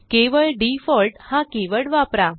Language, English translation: Marathi, That is done by using the default keyword